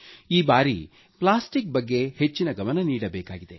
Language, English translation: Kannada, This time our emphasis must be on plastic